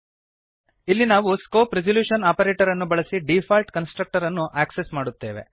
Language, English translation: Kannada, Here we access the default constructor using the scope resolution operator